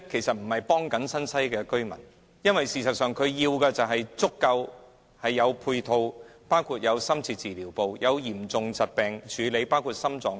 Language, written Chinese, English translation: Cantonese, 新界西居民需要的，是足夠的配套，包括深切治療部及為治理嚴重疾病而設的病床。, Residents of NTW need hospitals with sufficient complementary services including an intensive care unit and beds for patients suffering from serious